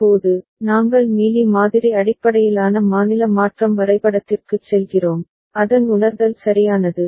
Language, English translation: Tamil, Now, we go to the Mealy model based state transition diagram, and its realization right